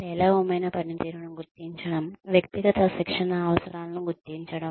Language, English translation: Telugu, Identification of poor performance, identification of individual training needs